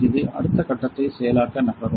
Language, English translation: Tamil, It will move to process the next step